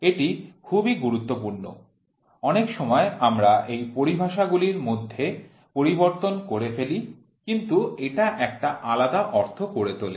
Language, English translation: Bengali, This are very important many a times we tried to interchange the terminologies, but it gives you completely different meaning